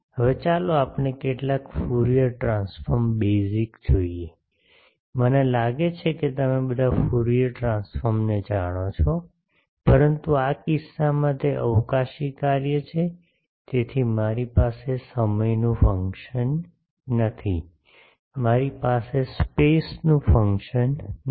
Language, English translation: Gujarati, Now let us look at some Fourier transform basic, I think all of you know Fourier transform, but in this case it is a spatial function So, I do not have a function of time I do not have a function of space